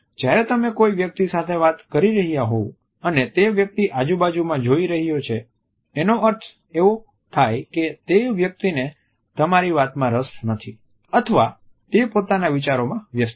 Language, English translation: Gujarati, While you are talking to a person and you find that the other person is looking at some other places which indicates that he or she might not be very interested in what you are saying or is busy in one’s own thoughts